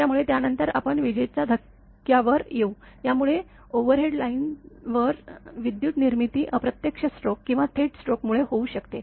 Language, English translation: Marathi, So, next we will come to the lightning surges; so, the voltage produce on the overhead lines by lightning may be due to indirect stroke or direct stroke